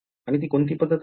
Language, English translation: Marathi, So, what will that be